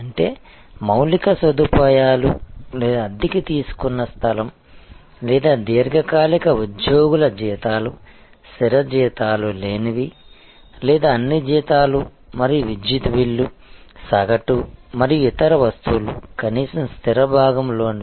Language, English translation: Telugu, That means, the infrastructure or the place that has been rented or the salaries of a long term employees, fixed salaries which are not or at least the fixed component of all salaries and electricity bill, average and other stuff